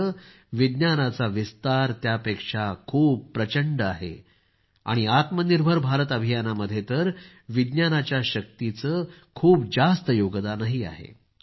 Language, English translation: Marathi, And there is a lot of contribution of the power of science in the 'Atmanirbhar Bharat Campaign'